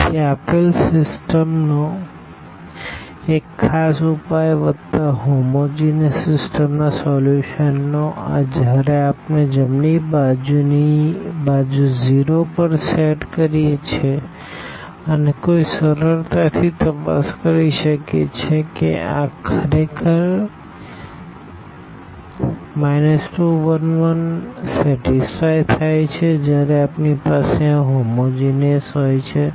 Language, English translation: Gujarati, So, one particular solution of the of the given system plus this of the solution of the homogeneous system when we set the right hand side to 0, and one can easily check that this to minus 2 1 1 actually satisfy when we have this homogeneous one ; that means, the right hand side 0